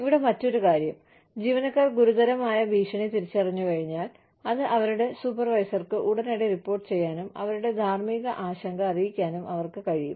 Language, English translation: Malayalam, The other point here is, once employees identify a serious threat, they are able to report it to their immediate supervisor, and make their moral concern, known